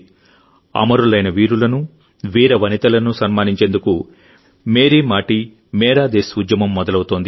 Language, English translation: Telugu, 'Meri Mati Mera Desh' campaign will be launched to honour our martyred braveheart men and women